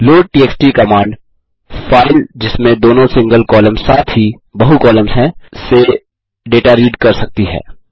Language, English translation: Hindi, loadtxt command can read data from files having both single columns as well as multiple columns